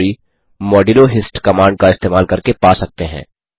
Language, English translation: Hindi, The history can be retrieved by using modulo hist command